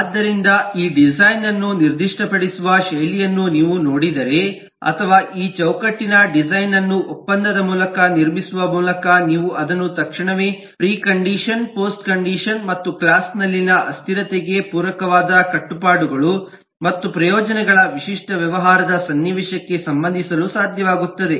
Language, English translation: Kannada, so if you see the style of specifying this design or building up this frame work of design by contract, you will immediately be able to relate it to the typical business scenario of obligations and benefits catering to precondition, post conditions and the invariants in the class